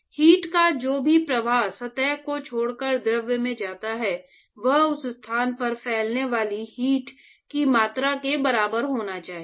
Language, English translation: Hindi, Whatever flux of heat that be leaves the surface and goes to the fluid should be equal to the amount of heat that is actually diffusing at that location